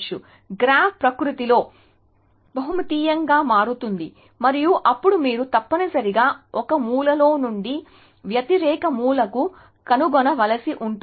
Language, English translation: Telugu, So, the graph would become multidimensional in nature and then you would have to find from one corner to the opposite corner essentially